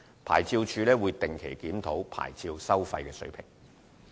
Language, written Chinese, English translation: Cantonese, 牌照事務處會定期檢討牌照收費水平。, OLA will review the level of licence fees on a regular basis